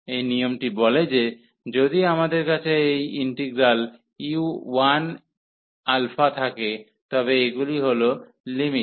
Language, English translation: Bengali, So, this rule says if we have this integral u 1 alpha, so these are the limits